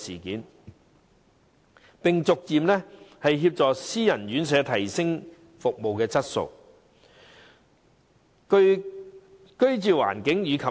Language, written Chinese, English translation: Cantonese, 此外，當局應協助私營院舍逐步提升服務質素、居住環境及競爭力。, Moreover the authorities should assist self - financing RCHEs in upgrading their service quality living environment and competitiveness gradually